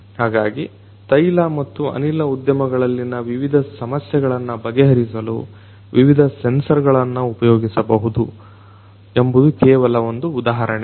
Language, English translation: Kannada, So, this is just an example like this different different sensors could be used to solve different problems in the oil and gas industry